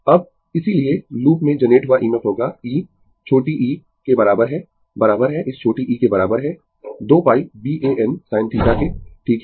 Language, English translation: Hindi, Now, therefore, EMF generated in the loop will be e is equal to small e is equal to your this small e is equal to 2 pi B A n sin theta, right